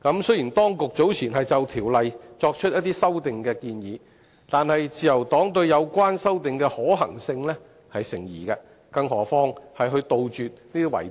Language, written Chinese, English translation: Cantonese, 雖然，當局早前曾就《條例》作出修訂建議，但自由黨認為有關修訂的可行性成疑，更遑論有效杜絕圍標。, Though the authorities have earlier made amendment proposals for BMO the Liberal Party remains doubtful about the feasibility of the proposals let alone their effectiveness of eradicating bid - rigging